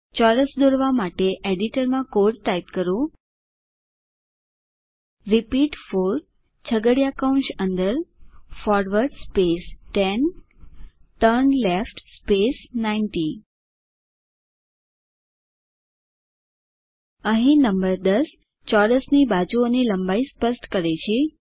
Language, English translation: Gujarati, Lets type a code in the editor to draw a square: repeat 4 within curly brackets { forward 10 turnleft 90 } Here the number 10 specfies the length of the side of the square